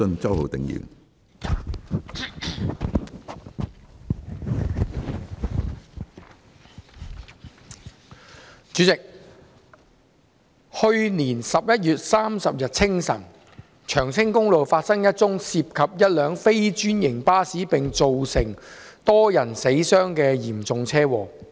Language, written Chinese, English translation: Cantonese, 主席，去年11月30日清晨，長青公路發生一宗涉及一輛非專營巴士並造成多人死傷的嚴重車禍。, President on the early morning of 30 November last year a serious traffic accident involving a non - franchised bus happened on Cheung Tsing Highway resulting in a number of casualties